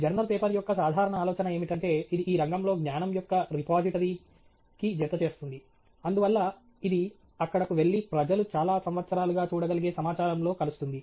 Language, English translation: Telugu, The general idea of a journal paper is that it adds to the repository of knowledge in the field, and therefore, it’s something that goes there and joins the body of information that people can look at for several years